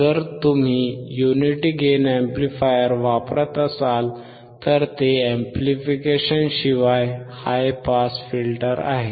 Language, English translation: Marathi, If you use unity gain amplifier, then it is high pass filter without amplification